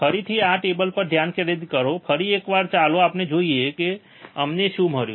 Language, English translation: Gujarati, Again, you concentrate on this table, once again, let us see um, what we have found